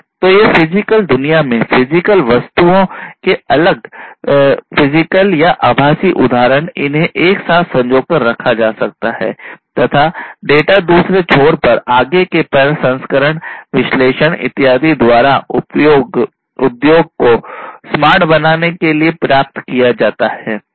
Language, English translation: Hindi, So, these different physical or virtual instances of the corresponding physical objects in the physical world, these could be networked together and the data would be received at the other end for further processing analysis and so on for making the industry smarter